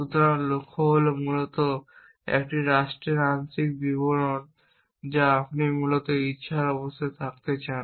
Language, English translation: Bengali, So, goal is basically a partial description of a state that you want to be in of the desire state essentially